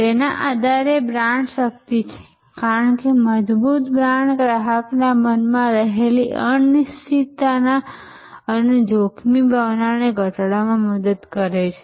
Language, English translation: Gujarati, Based on it is brand strength, because the brand, a strong brand helps to reduce the uncertainty and the sense of risk in the customer's mind